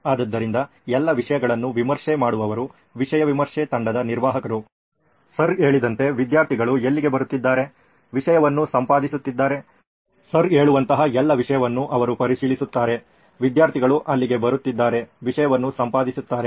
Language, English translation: Kannada, So admin to a content review team where they will review all the content, like Sir said, where the students are coming, editing the content, where they will review all the content like Sir says, that where the students are coming, editing the content